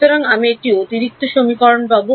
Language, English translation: Bengali, So, I should get 5 equations